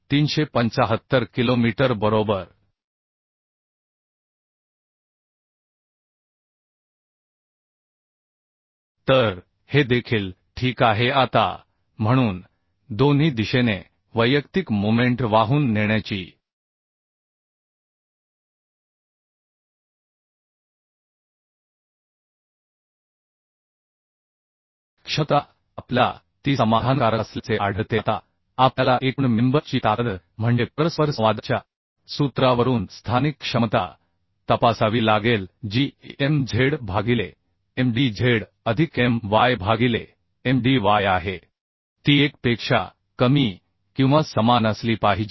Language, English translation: Marathi, 6375 kilonewton meter right so this is also okay right Now so so individual moment carrying capacity in both the directions we could find it is satisfying Now we have to check for overall member strength means local capacity from the interaction formula that Mz by Mdz plus My by Mdy it has to be less than or equal to 1 So Mz was 12